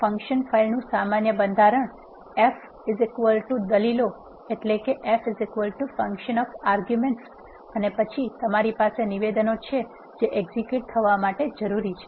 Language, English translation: Gujarati, The general structure of the function file is as follows f is equal to function of arguments and then you have statements that are needed to be executed